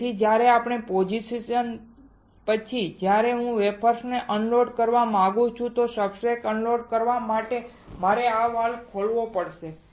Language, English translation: Gujarati, So, that when we want to after the position if I want to unload the wafers unload the substrate I had to open this valve